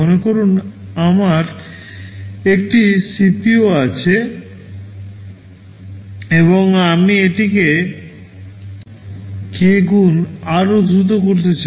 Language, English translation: Bengali, Suppose, I have a CPU and I want to make it k times faster